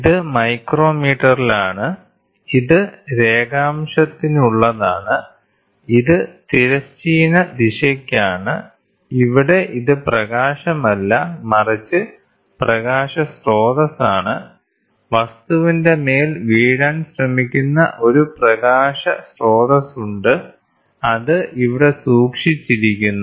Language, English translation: Malayalam, So, this is in micrometre, this is for longitudinal, this is for transverse direction and here is the illumination this is nothing, but the light source, there is a light source this tries to fall on the object which is kept here and then you try to measure it